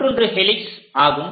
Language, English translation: Tamil, The other ones are helix